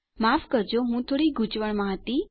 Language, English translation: Gujarati, Sorry I was a bit confused there